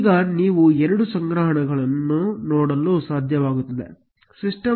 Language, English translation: Kannada, Now, you will be able to see two collections, system